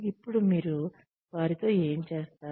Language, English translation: Telugu, Now, what do you do with them